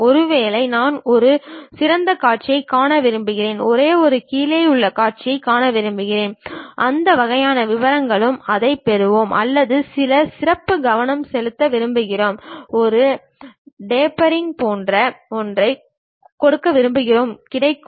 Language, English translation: Tamil, Maybe I would like to see only top view, I would like to see only bottom view, that kind of details also we will get it or we want to give some specialized focus, we want to give something like a tapering that is also available